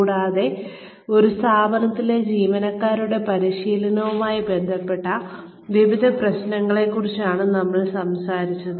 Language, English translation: Malayalam, And, we were talking about, various issues related to training of employees, in an organization